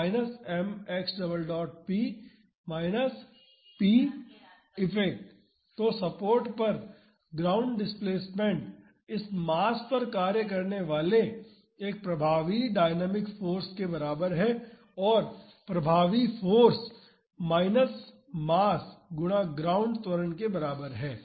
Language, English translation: Hindi, So, the ground displacement at the support is equivalent to having an effective dynamic force acting on this mass and the effective force is equal to minus mass times the ground acceleration